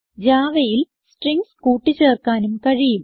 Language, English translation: Malayalam, Strings can also be added in Java